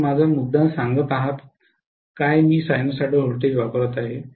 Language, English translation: Marathi, Are you getting my point I am applying sinusoidal voltage